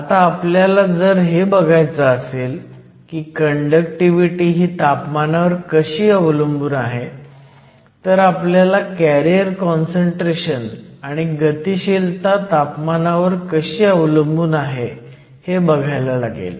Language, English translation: Marathi, Now if we want to look at the temperature dependence of the conductivity, we need to look at the temperature dependence of the carrier concentration and also the temperature dependence of the mobility